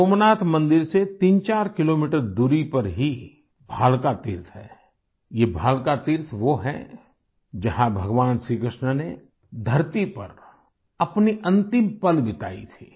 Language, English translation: Hindi, 34 kilometers away from Somnath temple is the Bhalka Teerth, this Bhalka Teerth is the place where Bhagwan Shri Krishna spent his last moments on earth